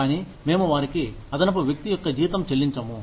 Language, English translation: Telugu, But, we do not pay them, the salary, of an additional person